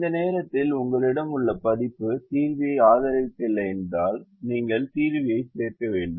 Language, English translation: Tamil, if the version that you have at the moment does not support the solver, you have to add the solver into